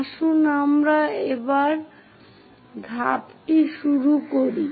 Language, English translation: Bengali, Let us begin the step once again